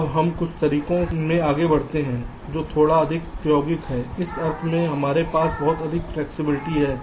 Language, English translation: Hindi, ok, now let us move into some methods which are little more practical in the sense that we have lot more flexibility here